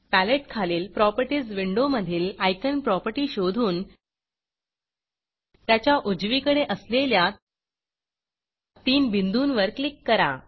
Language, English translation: Marathi, Now from to Properties Window below the palette, search for the icon property and click on the 3 dots here on the right